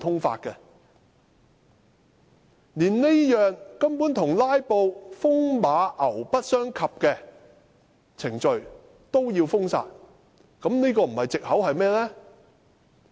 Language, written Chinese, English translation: Cantonese, 建制派連這項與"拉布"風馬牛不相及的程序也要封殺，打擊"拉布"不是藉口又是甚麼？, The pro - establishment camp is seeking to disallow such a procedure which is completely unrelated to filibustering . If countering filibustering is not an excuse what is?